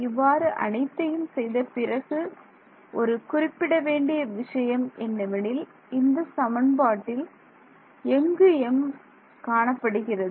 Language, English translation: Tamil, So, what after doing all of this what is interesting to note is where is m appearing in this expression